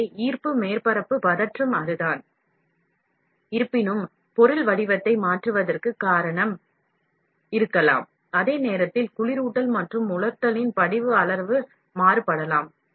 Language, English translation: Tamil, So, that is what the gravity surface tension; however, may cause the material to change shape, while size may vary, according to cooling and drying